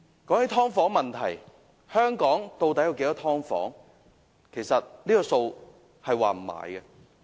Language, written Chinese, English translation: Cantonese, 關於"劏房"問題，香港的"劏房"數目其實並不確定。, As regards the issue about subdivided units we do not know the exact number of subdivided units in Hong Kong